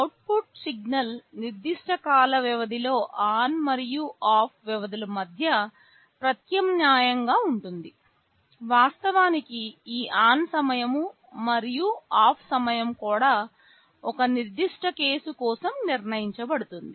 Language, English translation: Telugu, The output signal will alternate between ON and OFF durations with a specific time period; of course, this ON time and OFF time will also be fixed for a particular case